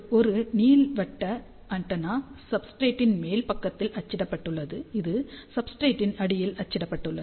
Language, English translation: Tamil, You can say that this is an elliptical antenna printed on top side of the substrate this is printed underneath of the substrate, which acts as a ground plane